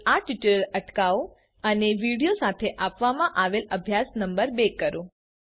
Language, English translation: Gujarati, Please pause the tutorial now and attempt the exercise number one given with the video